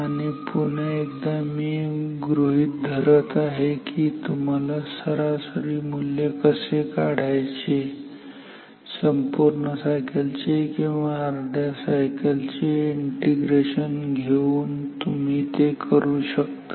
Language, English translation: Marathi, Once again I am assuming that you know how to find the average value by integrating over a complete cycle or half cycle you can do it